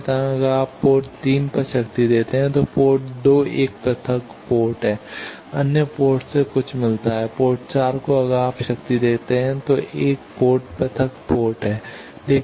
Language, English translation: Hindi, Similarly if you give power at port 3 then port 2 is isolated other ports gets something then, port 4 if you give power then one is isolated